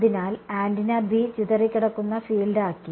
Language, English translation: Malayalam, So, the field scattered by antenna B right